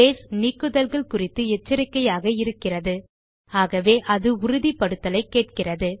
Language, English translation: Tamil, Base is cautious about deletes, so it asks for a confirmation by alerting us